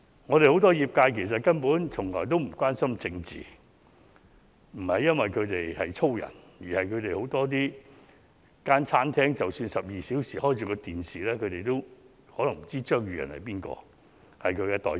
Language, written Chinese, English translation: Cantonese, 我們很多業界根本從來也不關心政治，不是因為他們從事勞動的工作，而是即使他們的餐廳12小時開啟着電視，也可能不知張宇人是業界代表。, Many of our trade members never care about politics but the reason is not that they are manual workers . Even though the televisions in their restaurants are on for 12 hours a day they may not know that Tommy CHEUNG is their trade representative